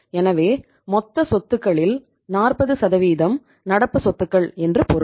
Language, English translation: Tamil, So it means 40% of the total assets are the current assets